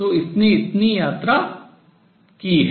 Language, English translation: Hindi, So, it has traveled that much